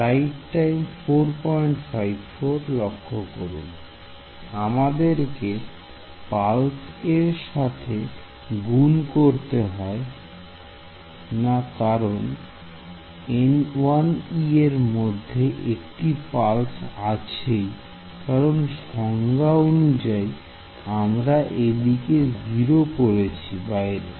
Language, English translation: Bengali, Pulse we do not need to multiply by pulse because N 1 e already has the pulse notion inside it, because I by definition I have made it 0 outside